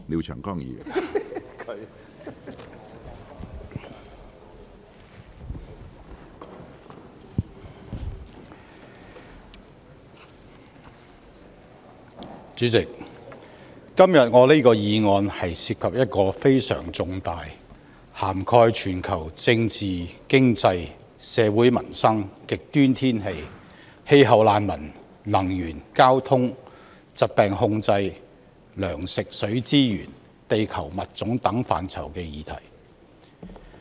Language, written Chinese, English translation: Cantonese, 主席，今天我這項議案涉及一個非常重大，涵蓋全球政治、經濟、社會民生、極端天氣、氣候難民、能源、交通、疾病控制、糧食、水資源、地球物種等範疇的議題。, President the motion I move today is about a major issue covering many different aspects such as global politics economy peoples livelihood extreme weather climate refugees energy transport disease control food water resources earth species etc